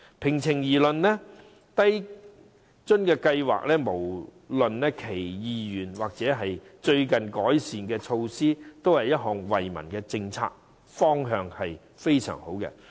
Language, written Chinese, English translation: Cantonese, 平心而論，低津計劃，不論是原有計劃，或是最近的改善措施，也是一項惠民政策，方向非常好。, To give the matter its fair deal LIFA be it the original plan or the latest improved version is a policy benefiting the public and it is in an extremely good direction